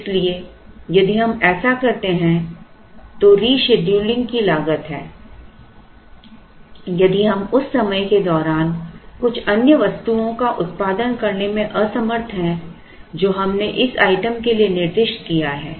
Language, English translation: Hindi, So, if we do that then there is a cost of reschedule if we are unable to produce some other item during the time that we have specified for this item